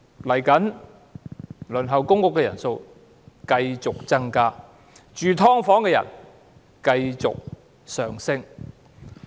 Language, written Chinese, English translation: Cantonese, 未來輪候公屋的人數繼續增加，居於"劏房"的人數繼續上升。, In the future the number of people waiting for public rental housing will keep rising and so will the number of subdivided unit dwellers